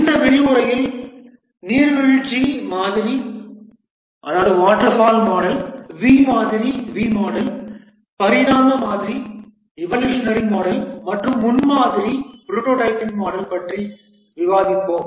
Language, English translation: Tamil, In this lecture, we will discuss about the waterfall model, V model, evolutionary model and the prototyping model